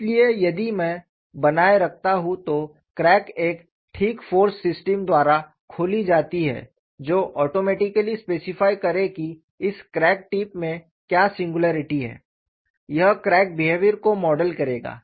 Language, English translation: Hindi, So, if I maintain the crack is opened up by a suitable force system that would automatically specify, what is the singularity in this crack tip